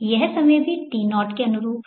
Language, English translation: Hindi, This is the time also corresponding to T